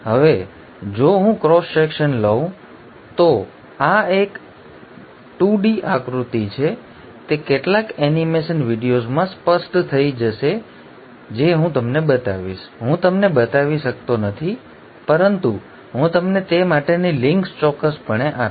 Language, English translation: Gujarati, Now if I were to take a cross section, this is I am, this is a 2 D diagram unfortunately, it will become clearer in some animation videos which I will show you; I cannot show you but I will definitely give you the links for those